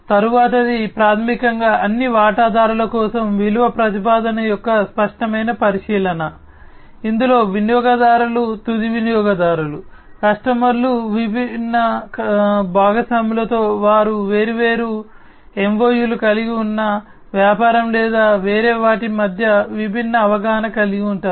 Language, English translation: Telugu, The next one is basically the explicit consideration of the value proposition for all the stakeholders, which includes the users, the end users, the customers, the different partners with which the business you know they have different , you know, MOUs or they have different understanding between the different other businesses